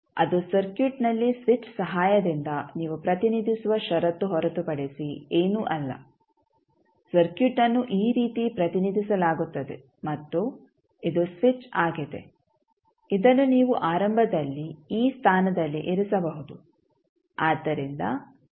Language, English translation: Kannada, That is nothing but the condition which you represent with the help of switch in the circuit that the circuit is represented like this and this is the switch which you can initially put at this position